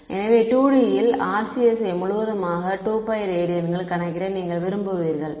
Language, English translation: Tamil, So, in 2 D you would calculate the RCS over and entire 2 pi radians ok